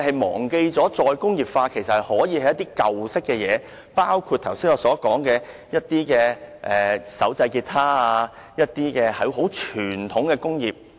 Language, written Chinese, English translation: Cantonese, 其實，"再工業化"所關乎的可以是一些舊式的東西，包括我剛才所說的手製結他和傳統工業。, In fact re - industrialization can be about certain old - style things including handmade guitars and traditional industries as I mentioned just now